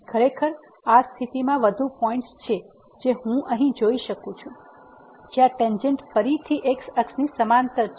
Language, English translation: Gujarati, Indeed in this situation there are more points one I can see here where tangent is again parallel to the